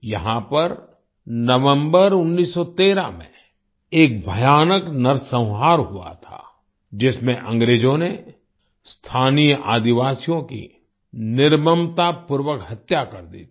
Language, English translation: Hindi, There was a terrible massacre here in November 1913, in which the British brutally murdered the local tribals